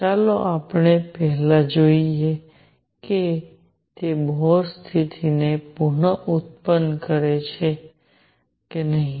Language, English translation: Gujarati, Let us first see if it reproduces Bohr condition